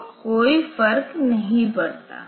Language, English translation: Hindi, So, it does not matter